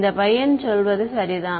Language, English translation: Tamil, It is this guy right